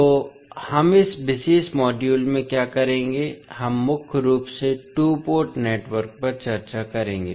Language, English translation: Hindi, So, what we will do in this particulate module, we will discuss mainly the two port networks